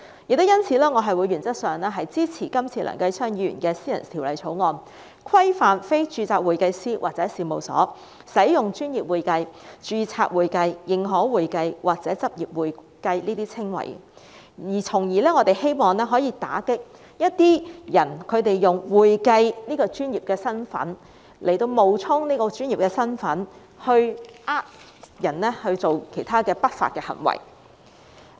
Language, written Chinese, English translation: Cantonese, 正因如此，我原則上支持梁繼昌議員提出的《2018年專業會計師條例草案》，規範非註冊會計師或事務所使用"專業會計"、"註冊會計"、"認可會計"或"執業會計"的稱謂，從而希望打擊一些人用"會計"的身份冒充專業，欺騙市民作出不法的行為。, That is why I support in principle the Professional Accountants Amendment Bill 2018 the Bill moved by Mr Kenneth LEUNG to regulate the use of the descriptions professional accounting registered accounting certified public accounting and certified accounting by individuals or firms not registered with the Hong Kong Institute of Certified Public Accountants HKICPA with a view to combating the unlawful act of those who uses the accounting status to disguise as professionals to deceive members of the public